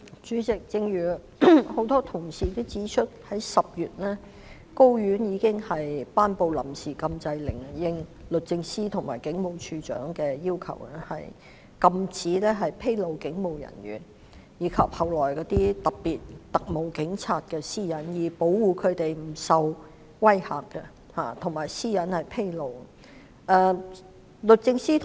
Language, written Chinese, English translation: Cantonese, 主席，正如很多同事也指出，高等法院在10月已經頒布了臨時禁制令，應律政司和警務處處長的要求，禁止披露警務人員及特務警察的私隱，從而保護他們不受威嚇及其私隱不會被披露。, President as many Honourable colleagues have pointed out the High Court granted an interim injunction order in October in response to the request of DoJ and the Commissioner of Police CoP restraining any person from infringing the privacy of police officers and special constables so as to protect them from intimidation and their privacy from being disclosed